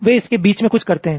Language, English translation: Hindi, they do something in between